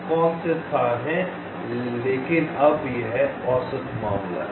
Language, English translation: Hindi, now, but this is the average case